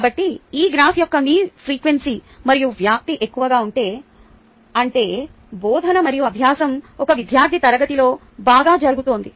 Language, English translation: Telugu, so if your frequency and amplitude of this graph is high, that means the teaching and learning is happening better in a particular class